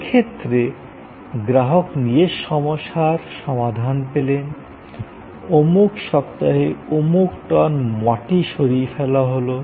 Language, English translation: Bengali, But, in this case, the customer was getting the solution, that so many tones of earth were to be removed in so many weeks